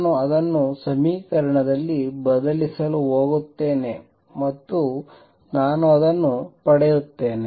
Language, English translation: Kannada, I am going to substitute that in the equation and I get